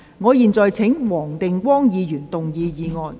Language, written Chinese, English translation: Cantonese, 我現在請黃定光議員動議議案。, I now call upon Mr WONG Ting - kwong to move the motion